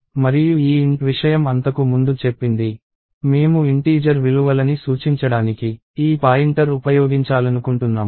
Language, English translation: Telugu, And this thing int before that says, we intend to use this pointer to point to integer values